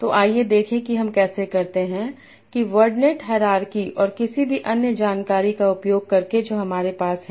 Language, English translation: Hindi, So, let us see how do we do that by using the wordnet hierarchy and any other information that we have